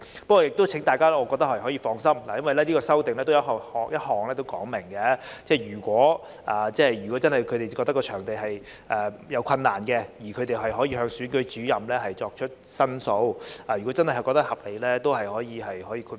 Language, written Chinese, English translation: Cantonese, 我亦請大家放心，這項修正案已經訂明，如果他們認為借出場地有困難，可以向總選舉事務主任作出申述，如被認為屬合理，仍可獲得豁免。, Please rest assured because this amendment has already provided that they can make representation to CEO if they believe there is difficulty in making their premises available . Exemption will still be granted to them should it be considered reasonable